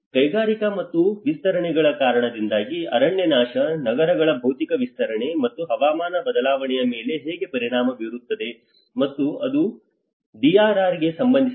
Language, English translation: Kannada, Deforestation because of the industrial and expansions, physical expansion of cities, and how the deforestation is in turn affecting the climate change and which is again relating to the DRR